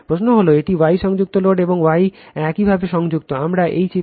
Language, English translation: Bengali, The question is that it is star connected load and star connected your, we will come to this diagram